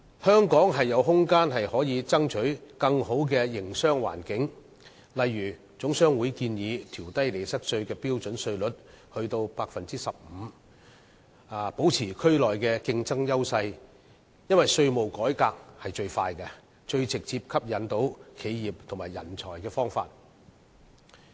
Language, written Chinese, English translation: Cantonese, 香港是有空間爭取更佳營商環境的，例如總商會建議調低利得稅標準稅率至 15%， 以保持在區內的競爭優勢，因為稅務改革是最快、最能直接吸引企業和人才的方法。, Hong Kong has room to strive for a better business environment . For instance the Hong Kong General Chamber of Commerce proposes lowering the profits tax rate to 15 % which may maintain Hong Kongs competitive edge in the region as tax reform is the fastest and most direct means to attract enterprises and talents